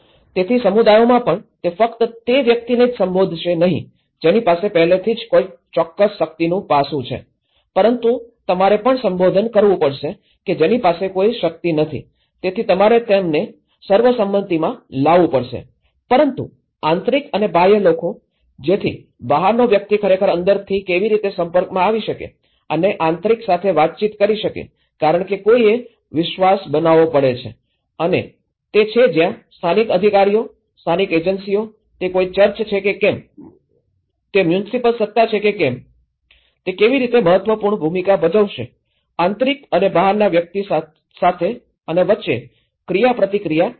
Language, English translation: Gujarati, So, even across the communities, it is not just only addressing the person who already have certain power aspect but you also have to address who is not having any power so, you have to bring them into the consensus but insiders and outsiders; so how an outsider can actually come and interact with the insider because one has to build a trust and that is where local authorities, local agencies, whether it is a church, whether it is a municipal authority, how they play an a vital role in bringing an interaction between an insider and outsider